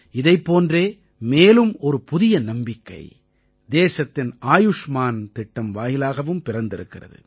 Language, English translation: Tamil, A similar confidence has come to the country through the 'Ayushman Yojana'